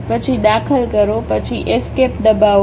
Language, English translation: Gujarati, Then Enter, then press Escape